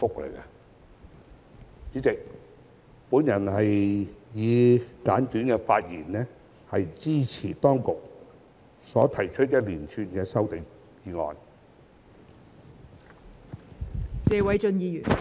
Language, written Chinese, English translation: Cantonese, 代理主席，我以簡單的發言，支持當局所提出的一連串修正案。, Deputy Chairman with these brief remarks I support the series of amendments proposed by the Administration